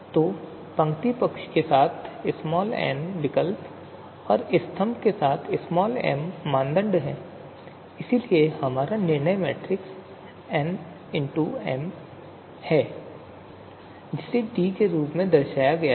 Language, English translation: Hindi, So n alternatives along the you know row side and m criteria along the column side, so this is our decision matrix n cross m, so we are denoting it right now as capital D